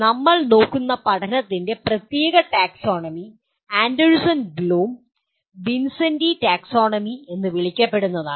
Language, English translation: Malayalam, The particular taxonomy of learning that we are looking at will be called Anderson Bloom Vincenti Taxonomy